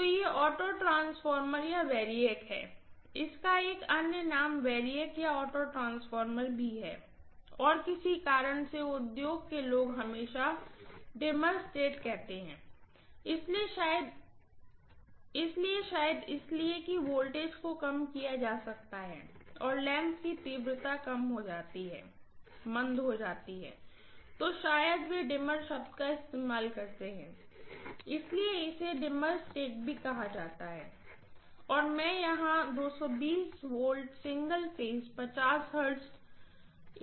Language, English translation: Hindi, So this is the auto transformer or variac, this also has another name called variac, variac or auto transformer and for some reason the industry people always say dimmer stat, so probably because the voltage can be decreased and lamps intensity can be reduced, dimmed, so maybe the use the word dimmer stat, so it is called dimmer stat as well, so these are the names for auto transformer and here I will apply 220 V single phase 50 hertz AC, right